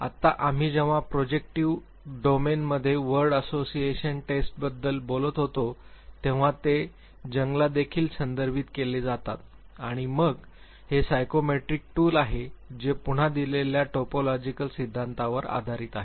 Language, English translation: Marathi, Right now we when we were talking about word association test in the projective domain they are also be referred to Jung, and then this is the psychometric tool which is again based on the typological theory given by